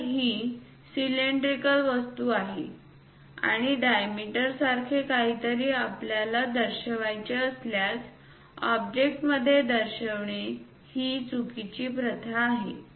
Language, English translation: Marathi, If it is something like cylindrical objects and diameter we would like to show instead of showing within the object this is wrong practice